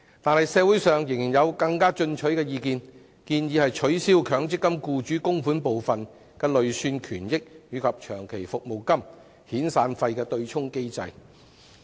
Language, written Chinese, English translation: Cantonese, 然而，社會上仍有更加進取的意見，建議取消強積金僱主供款部分的累算權益與長期服務金和遣散費對沖的機制。, Nevertheless there is still a more demanding proposal in society for abolishing the mechanism of offsetting long service and severance payments against the MPF accrued benefits being the employers contributions